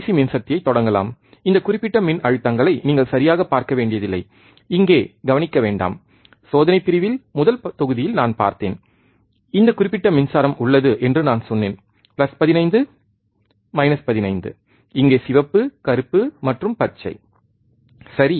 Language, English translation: Tamil, Now, we can start the DC power supply, and you do not have to see this particular voltages ok, do not do not concentrate this in the first module in the experimental section I have see, I have said that this particular power supply it has plus 15 minus 15 here red black and green, right